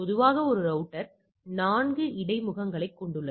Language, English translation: Tamil, Typically a router has a 4 interfaces